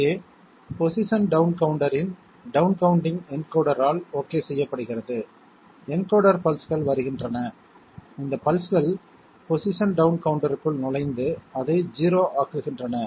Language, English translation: Tamil, Here the down counting of the position down counter is done by the encoder okay, the encoder pulses are coming, these pulses are entering the position down counter and making it 0